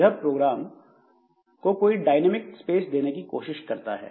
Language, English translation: Hindi, It tries to assign some dynamic space to the program